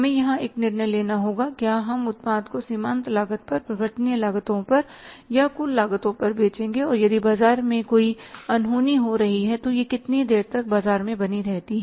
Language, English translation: Hindi, We have to take a decision here whether we will be selling the product on the marginal cost or on the variable cost or on the total cost and if there is any untoward happening in the market, how long it is going to persist or sustain or pertain in the market, sustain in the market